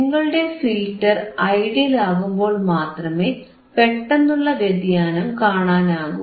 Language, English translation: Malayalam, Sudden change will be there only when your filter is ideal your filter is ideal